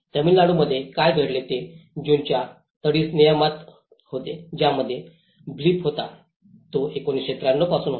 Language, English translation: Marathi, In Tamil Nadu what happened was there is a coastal regulation June which has a blip, which has been from 1993